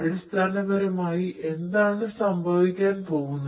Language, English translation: Malayalam, Essentially, what is going to happen